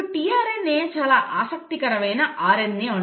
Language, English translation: Telugu, Now tRNA is a very interesting RNA molecule